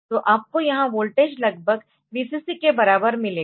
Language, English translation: Hindi, So, you will get here voltage almost equal to Vcc